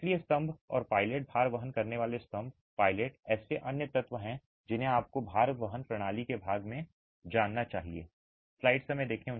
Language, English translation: Hindi, So, columns and pilasters, load bearing columns and pilasters are the other elements that you should be aware of as part of the load bearing system